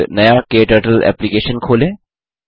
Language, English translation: Hindi, When you open a new KTurtle application